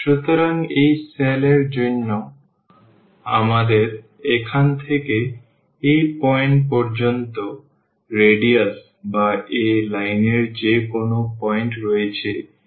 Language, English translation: Bengali, So, for this cell we have the radius from here to this point or any point on this line here it is r i